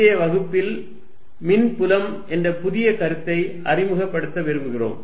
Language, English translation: Tamil, In today's lecture, we want to introduce a new idea called the electric field